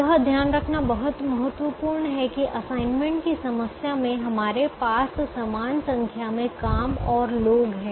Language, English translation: Hindi, it's very important to note that in the assignment problem we have an equal number of jobs and people